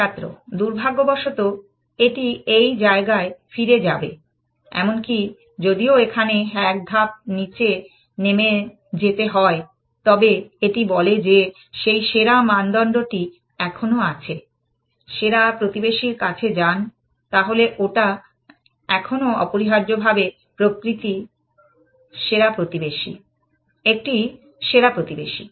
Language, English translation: Bengali, Unfortunately, it will go back to this place, even if it takes one step down, but this one say that, still that best criteria is still there, go to the best neighbor, so that one is still the best neighbor essentially